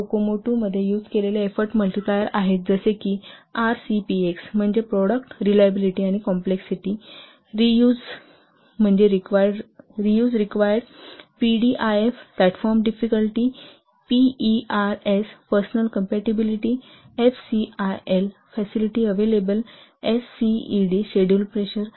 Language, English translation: Marathi, Following side, effort multipliers that you will use in Kocomut 2, like RCPX means product reliability and complexity, R use means reuse required, PDIF platform difficulty, PERS, personnel capability, FCIIL facilits available, SCED, schedule pressure